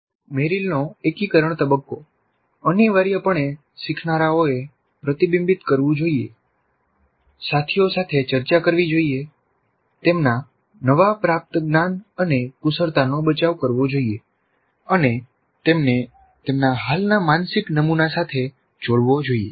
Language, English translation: Gujarati, Then the integration, the integration phase of Merrill essentially learners should reflect, discuss with peers, defend their newly acquired knowledge and skills, relate them to their existing mental model